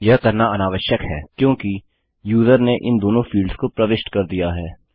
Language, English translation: Hindi, Its unnecessary to do so since we know the user has entered both these fields